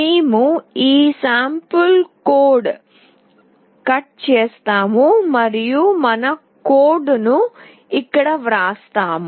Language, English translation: Telugu, We will just cut out this sample code and we will be writing our code in here